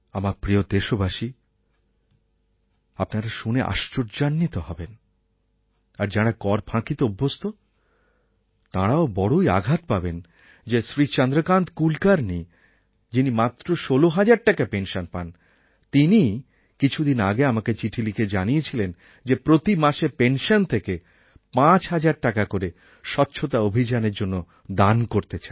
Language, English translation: Bengali, And my dear countrymen, you will be surprised to hear, and those who are in the habit of evading tax will get a shock to know that Chandrakant Kulkarni Ji, who gets a pension of only rupees sixteen thousand, some time back wrote a letter to me saying that out of his pension of 16,000, he voluntarily wants to donate Rs